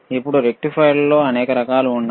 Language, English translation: Telugu, Now, there are several types of rectifiers again